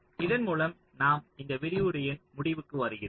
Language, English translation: Tamil, so with this we come to the end of the lecture